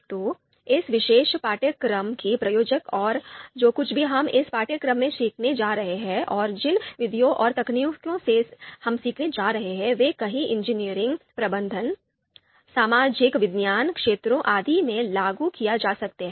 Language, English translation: Hindi, So in terms of applicability of this particular course and whatever we are going to learn in this course and the methods and techniques that we are going to learn, they can be applied in a number of engineering, management, social science fields